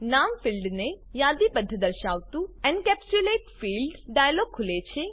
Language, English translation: Gujarati, The Encapsulate Fields dialog opens, listing the name field